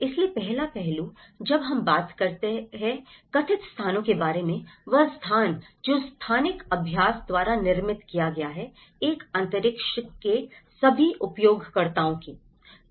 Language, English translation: Hindi, So, the first aspect, when he talks about the perceived space, which is the space which has been produced by the spatial practice of all the users of a space